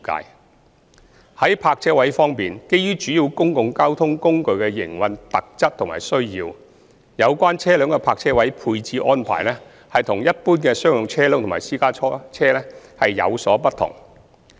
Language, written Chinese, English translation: Cantonese, 三在泊車位方面，基於主要公共交通工具的營運特質和需要，有關車輛的泊車位配置安排與一般商用車輛及私家車有所不同。, 3 As regards parking spaces given the operational characteristics and needs of the major public transport modes the arrangements for the provision of parking spaces for public transport service vehicles differ from those for general commercial vehicles and private cars